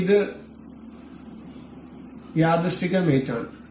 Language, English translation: Malayalam, So, this is coincident mate